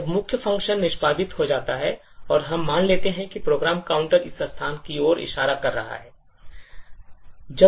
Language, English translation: Hindi, When the main function gets executed and let us assume that the program counter is pointing to this particular location